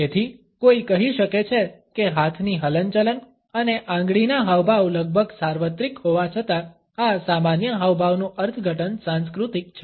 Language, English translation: Gujarati, So, one can say that even though the hand movements and finger gestures are almost universal the interpretations of these common gestures are cultural